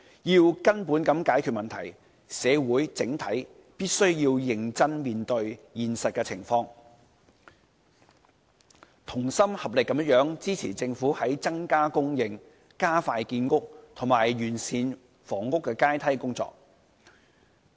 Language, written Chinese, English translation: Cantonese, 要根本解決問題，社會整體必須認真面對現實情況，同心合力支持政府增加供應、加快建屋，以及完善房屋階梯的工作。, To eradicate the problem the entire society must face the reality seriously and unite to support the Government in increasing housing supply expediting housing projects and improving the housing ladder